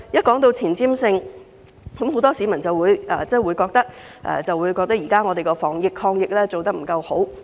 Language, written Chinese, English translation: Cantonese, 談到前瞻性，很多市民認為香港現時的防疫抗疫工作做得不夠好。, Speaking of foresight many people do not think Hong Kong is doing a good job in its fight against the epidemic